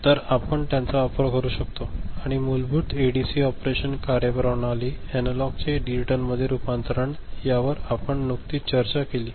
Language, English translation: Marathi, So, we can make use of them, but basic ADC operation, the functioning, the conversion of analog to digital, so that we have just discussed